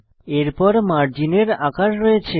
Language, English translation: Bengali, Next, we have margin sizes